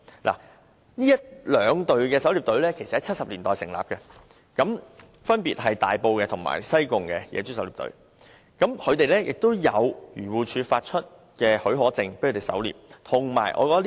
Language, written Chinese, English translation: Cantonese, 這兩支狩獵隊在1970年代成立，分別是大埔及西貢的野豬狩獵隊，他們持有漁農自然護理署發出的狩獵許可證。, The two teams the Sai Kung Wild Pig Hunting Club and the Tai Po Wild Pig Hunting Team were set up in the 1970s . The team members obtain a special hunting permit issued by the Agriculture Fisheries and Conservation Department AFCD